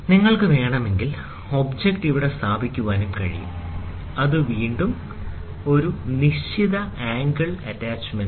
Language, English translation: Malayalam, If you want, you can also place here the object, which is again an acute angle attachment